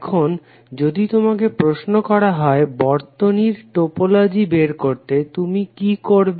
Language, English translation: Bengali, Now if you are ask to find out the topology of this circuit, what you will do